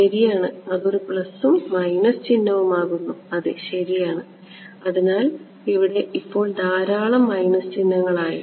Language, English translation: Malayalam, Right so, that became a plus and a minus sign yeah fine yeah right; so, too many minus sign